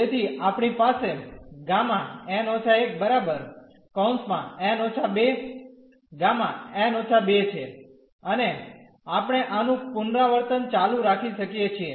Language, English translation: Gujarati, So, we have n minus 1 and this is n minus 1 and gamma n minus 2 and we can keep on repeating this